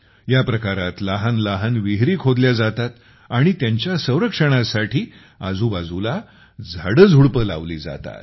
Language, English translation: Marathi, Under this, small wells are built and trees and plants are planted nearby to protect it